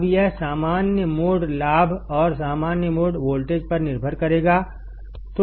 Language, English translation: Hindi, Now it will depend on the common mode gain and the common mode voltage